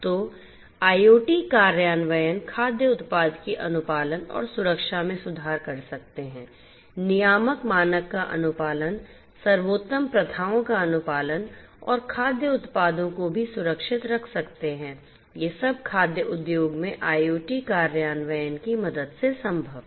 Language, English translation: Hindi, So, IoT implementations can also improve compliance and safety of the food product, compliance to regulatory standard, compliance to best practices and also safe handling of the food products, these are all possible with the help of IoT implementation in the food industry